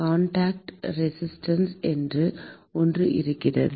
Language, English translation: Tamil, There is something called Contact Resistance